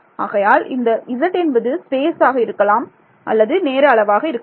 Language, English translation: Tamil, So, the z can be space z can be time which is up to me right